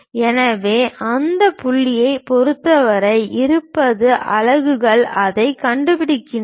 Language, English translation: Tamil, So, with respect to that point twenty units locate it